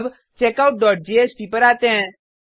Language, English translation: Hindi, Now, let us come to checkOut dot jsp